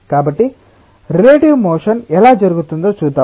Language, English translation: Telugu, so let us see that how the relative motions takes place